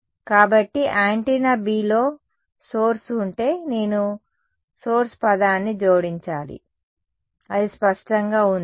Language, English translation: Telugu, So, if there were source in antenna B then I have to add the source term that is all, is it clear